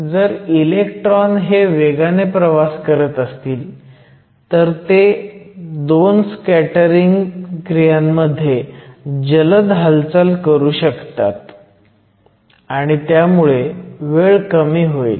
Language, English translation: Marathi, If the electrons are in travel faster, then once again they can interact between two scattering events quickly, so time will be short